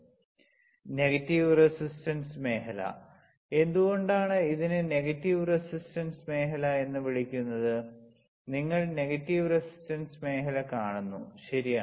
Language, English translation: Malayalam, Now negative resistance region is why it is negative resistance region; why this is called negative resistance region you see negative resistance region, right